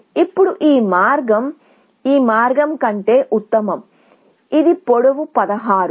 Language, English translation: Telugu, Now, that path is better than this path, which is of length 16